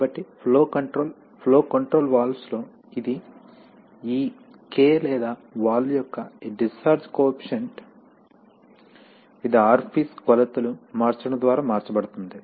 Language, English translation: Telugu, So the flow control, in flow control valves it is this K or this discharge coefficient of the valve which is changed by changing the orifice dimensions